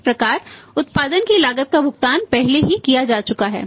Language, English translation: Hindi, So, that is the cost of production has already paid right